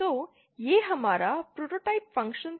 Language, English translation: Hindi, So, this was our prototype function